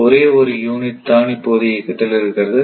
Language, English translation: Tamil, So, one unit is operating now